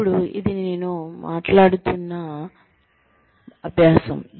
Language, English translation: Telugu, Now, this is the exercise, I was talking about